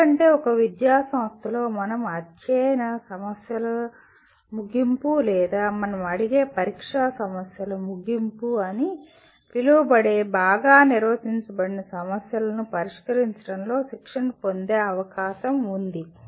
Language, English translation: Telugu, Because in an educational institution we are likely to get trained in solving dominantly well defined problems what we call end of the chapter problems or the kind of examination problems that we ask